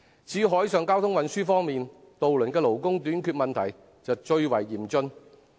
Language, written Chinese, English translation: Cantonese, 至於海上交通運輸方面，渡輪的勞工短缺問題最為嚴峻。, And as for maritime transport the problem of labour shortage in ferry services is the most serious